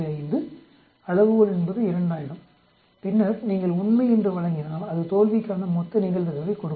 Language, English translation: Tamil, 5, scale is 2000 then if you give true it gives the total probability for failure